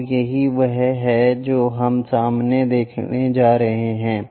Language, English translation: Hindi, So, that is what we are going to get as front view